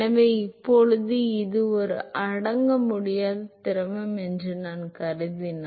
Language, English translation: Tamil, So, now, if I assume that it is an incompressible fluid